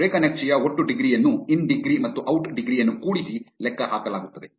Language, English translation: Kannada, Total degree of a graph is calculated by summing the in degree and out degree